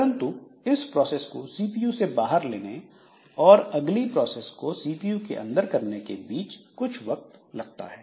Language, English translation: Hindi, But in between what happens is that putting this process out of CPU and taking the next process into the CPU so that takes some time